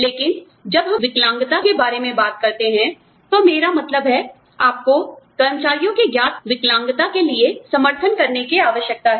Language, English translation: Hindi, But, when we talk about disabilities, i mean, you need to have support, for the known disabilities of employees